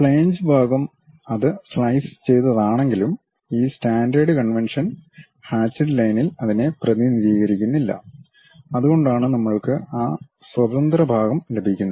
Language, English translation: Malayalam, The flange portion, though it is slicing, but this standard convention is we do not represent it by any hatched lines; that is the reason we have that free space